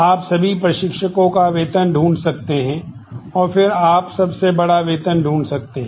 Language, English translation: Hindi, You can find salaries of all instructors, and then you can find the largest salary